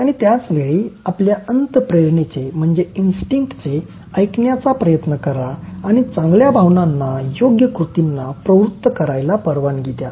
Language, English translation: Marathi, And at the same time, try to listen to your instinct and allow gut feelings to prompt a right action